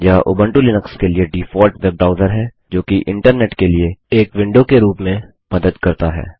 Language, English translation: Hindi, It is the default web browser for Ubuntu Linux, serving as a window to the Internet